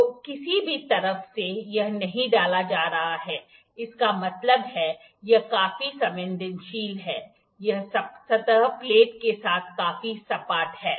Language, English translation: Hindi, So in any side from either of the sides it is not getting inserted so; that means, it is quite sensitive it is quite flat with the surface plate